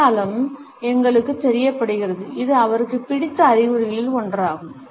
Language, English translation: Tamil, Sign is letting us know, this is one of his favorite signs